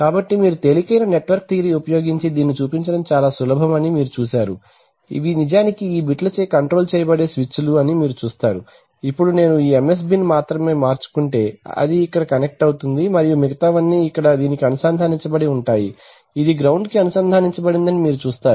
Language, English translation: Telugu, So you see that you can it is rather easy to show using simple network theory that, you see these are the switches which are actually controlled by these bits, so now I suppose let us say the simplest case that if I switch only this MSB, so it will get connected here and all the others are connected to this ground, you see this is connected to ground